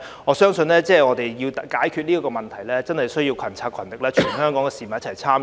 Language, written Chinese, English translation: Cantonese, 我相信我們要解決這問題，需要群策群力，全港市民一起參與。, I believe it takes concerted efforts and participation from all the people of Hong Kong to address this issue